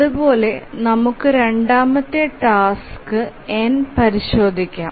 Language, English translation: Malayalam, Similarly we can check for the second task